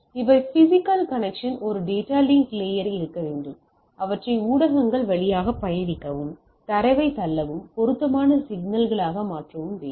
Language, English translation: Tamil, So, these are the physical connectivity, so in other sense there should be a data link layer should be converting in them into appropriate signals to travel push the data across through the media right